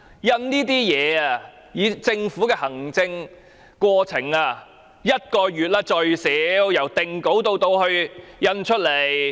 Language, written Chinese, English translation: Cantonese, 以政府的行政過程而言，這份宣傳品由定稿至印製最少需時1個月。, In terms of the implementation of government policies it takes at least a month to print publicity material after finalization